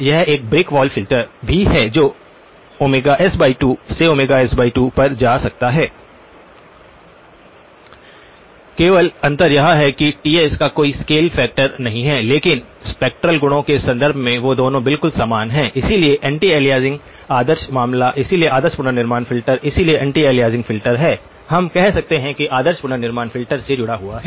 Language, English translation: Hindi, It is also a brick wall filter going from minus omega s by 2 to omega s by 2, the only difference is it does not have a scale factor of Ts but in terms of the spectral properties they both are exactly the same, so the anti aliasing in the ideal case, so the ideal reconstruction filter, so the anti aliasing filter is; we can say that is linked to the ideal reconstruction filter